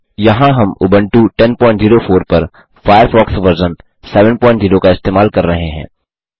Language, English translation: Hindi, Here we are using Firefox 7.0 on Ubuntu 10.04